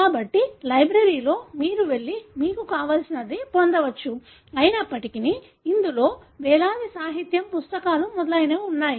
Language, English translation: Telugu, So, in a library you can go and get whatever you want, although it houses thousands of such literature, books and so on